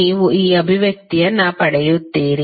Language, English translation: Kannada, You will get this expression